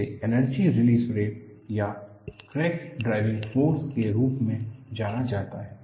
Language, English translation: Hindi, This is known as energy release rate or crack driving force